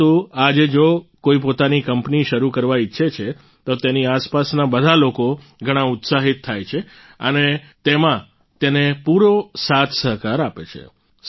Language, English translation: Gujarati, But, if someone wants to start their own company today, then all the people around him are very excited and also fully supportive